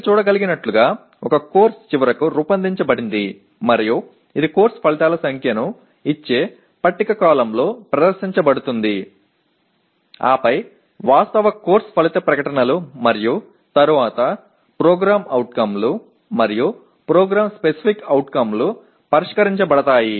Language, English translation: Telugu, So as you can see this is how a course finally is designed and it is presented in a tabular column giving the course outcomes number then actual course outcome statements and then POs and PSO is addressed